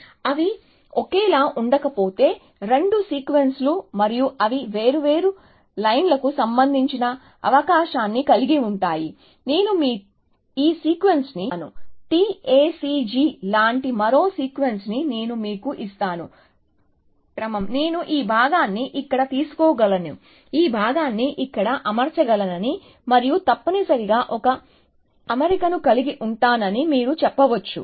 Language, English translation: Telugu, If they are not identical, the two sequences and that includes the possibility that they are of different lens also, I may you this sequence, I may give you some another sequence like, T A C G then if I say, can you align this sequence with this sequence, you might say that yes, I can take this part here, and alignment this part here and have an alignment essentially